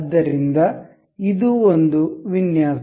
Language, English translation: Kannada, So, this is one design